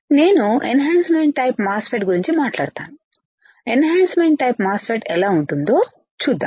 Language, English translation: Telugu, If I talk about enhancement type MOSFET; let us see how the enhancement type MOSFET looks like